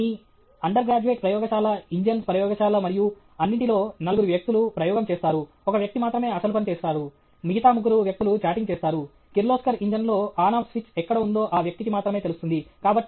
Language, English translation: Telugu, In your, under graduate lab, the engines lab and all that, four people will do the experiment; only one fellow will do; all other three fellows will be chatting okay; only that fellow will know that in the Kirloskar engine where is On Off switch